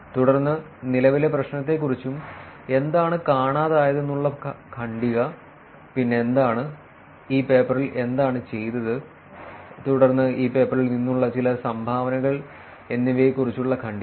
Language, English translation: Malayalam, Then the paragraph about the current problem and what is missing, then the paragraph about what is, what was done in this paper and then some kind of a contribution from this paper